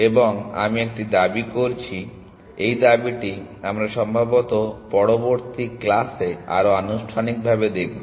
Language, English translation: Bengali, And I making a claim and this claim we will show more formally probably in the next class